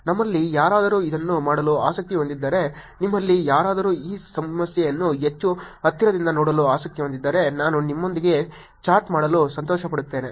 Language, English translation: Kannada, If any of you are interested in doing it, if any of you are interested in looking at this problem more closely I will be happy to actually chat with you